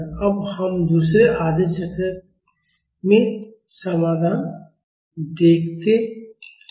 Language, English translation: Hindi, Now let us see the solution in the second half cycle